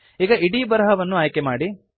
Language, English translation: Kannada, Select the entire text now